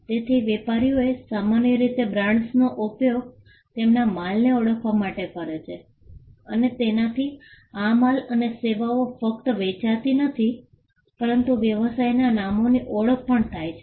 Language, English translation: Gujarati, So, traders usually used brands as a means to identify their goods and this came up by not only identifying them goods and services they were selling, but also to identify the business names